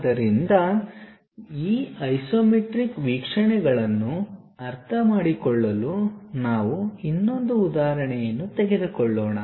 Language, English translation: Kannada, So, let us take one more example to understand these isometric views